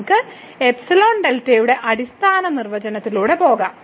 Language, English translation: Malayalam, So, let us just go through the standard definition of epsilon delta